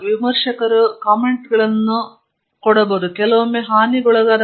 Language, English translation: Kannada, Reviewers comments can be very damaging sometimes, sometimes very puzzling